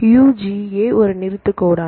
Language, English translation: Tamil, Right UGA is a stop codon